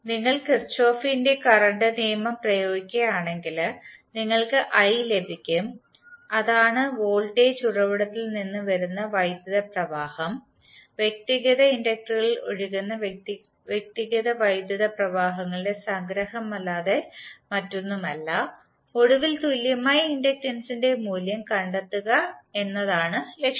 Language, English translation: Malayalam, So if you if you apply Kirchhoff’s current law, you will get i that is the current coming from the voltage source is nothing but the summation of individual currents flowing in the individual inductors and finally the objective is to find out the value of equivalent inductance of the circuit